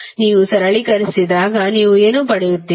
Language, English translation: Kannada, When you simplify, what you will get